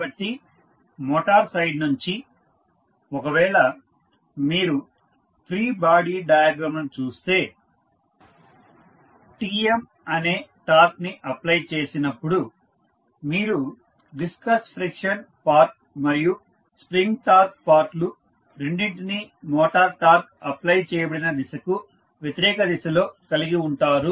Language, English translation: Telugu, So, from the motor side, if you see the free body diagram you will see that the torque Tm when it is applied, you will have the viscous friction part plus spring torque part applicable in the opposite direction of the motor torque applied